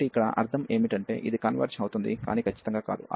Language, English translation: Telugu, So, here meaning is that this converges, but not absolutely